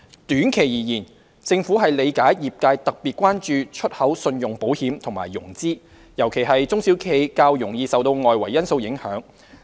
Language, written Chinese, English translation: Cantonese, 短期而言，政府理解業界特別關注出口信用保險和融資，尤其是中小企較容易受到外圍因素影響。, In the short run the Government understands that the industry pays special attention to export credit insurance and financing; in particular SMEs are more susceptible to external factors